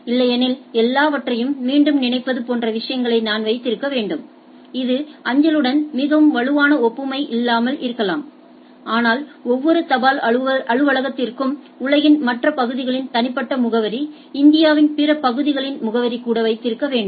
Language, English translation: Tamil, Otherwise I need to have all the things into the things like think of again not may not be very strong analogy with the postal, but think of that I have to keep every post office need to keep individual address of rest of the world or even rest of India right